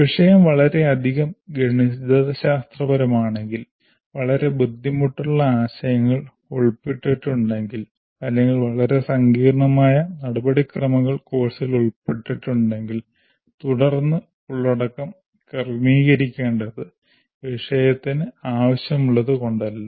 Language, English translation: Malayalam, If the subject is highly mathematical and also very difficult concepts are involved or very complex procedures are involved in the course, then obviously the content will have to be accordingly adjusted not because the subject requires that